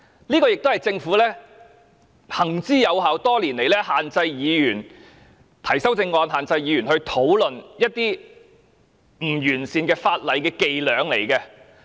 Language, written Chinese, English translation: Cantonese, 其實，這也是政府行之有效、多年來限制議員提出修正案，限制議員討論一些不完善法例的伎倆。, In fact this is also the Governments tactic which has been working effectively all these years to limit the right of Members to introduce amendments and discuss the defects of some laws